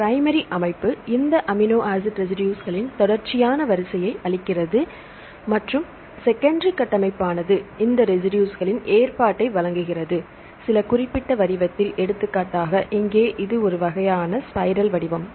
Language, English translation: Tamil, So, primary structure gives the sequential order of this amino acid residues and secondary structure provides the arrangement of these residues; in some specific shape; for example, here this is a kind of spiral shape